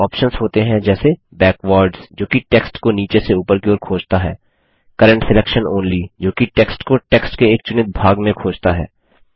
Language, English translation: Hindi, It has options like Backwards which searches for the text from bottom to top, Current selection only which searches for text inside the selected portion of the text